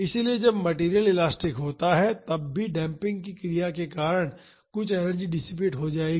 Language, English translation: Hindi, So, even when the material is elastic some energy will be dissipated because of the damping action